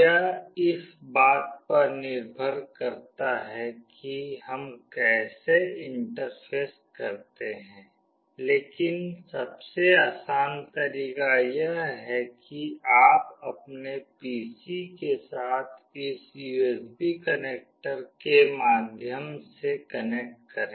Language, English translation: Hindi, It depends on how do we interface, but the easiest way is like you connect through this USB connector along with your PC